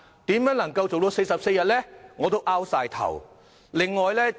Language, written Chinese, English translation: Cantonese, 如何能夠在44天內做得到呢？, How can the entire process be completed within 44 days?